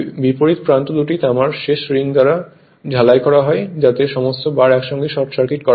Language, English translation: Bengali, The opposite ends are welded of two copper end ring, so that all the bars are short circuited together right